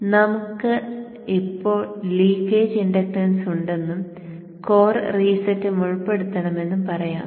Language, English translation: Malayalam, Now let us say we have leakage inductance and we also have to incorporate core resetting